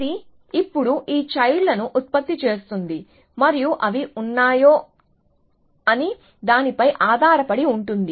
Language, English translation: Telugu, So, it will generate these children now, and depending on whether they are